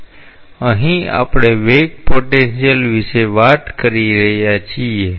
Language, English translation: Gujarati, So, here we are talking about a velocity potential